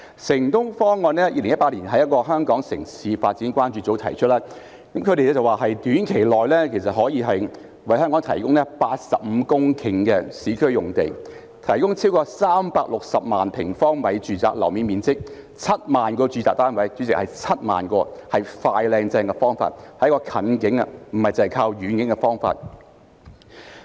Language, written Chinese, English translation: Cantonese, "城東方案"在2018年由香港城市發展關注組提出，他們指出可以在短期內為香港提供85公頃的市區用地，亦可提供超過360萬平方米住宅樓面面積及7萬個住宅單位——主席，是7萬個——是"快、靚、正"的方法，是一個近景，不只是靠遠景的方法。, This Project City - E was proposed by the Hong Kong City Development Concern Group in 2018 . They pointed out that it can provide 85 hectares of land in the urban area and over 3.6 million square metres of residential gross floor area plus 70 000 residential units for Hong Kong―President it is 70 000 units―it is a swift smart and swell approach; it is a picture in the nearer term not just a vision for the distant future